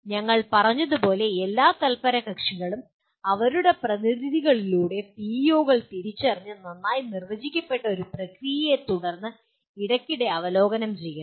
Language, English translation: Malayalam, As we said all stakeholders through their representatives should identify the PEOs and review them periodically following a well defined process